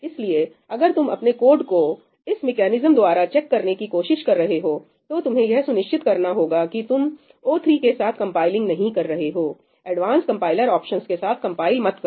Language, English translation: Hindi, So, if you are trying to check your code via this mechanism, make sure you are not compiling with o3, do not compile with any advanced compiler option